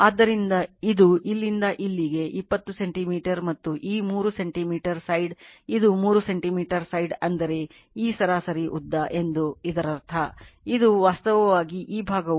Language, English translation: Kannada, So, this is from here to here 20 centimeter and this 3 centimeter side, it 3 centimeter side means that is; that means, 3 centimeter side means this mean length; that means, this is actually this portion actually 1